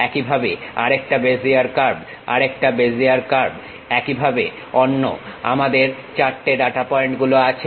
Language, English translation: Bengali, Similarly, another Bezier curve, another Bezier curve similarly on the other directions we have 4 data points